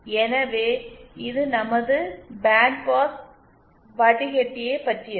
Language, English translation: Tamil, So this was something about our band pass filter